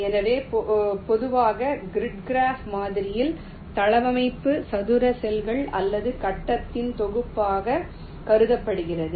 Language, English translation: Tamil, so in general in the grid graph model the layout is considered as a collection of square cells or grid